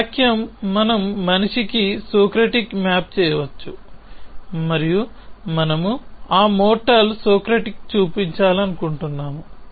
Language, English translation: Telugu, This sentence we can map to man Socratic and we want to show that mortal Socratic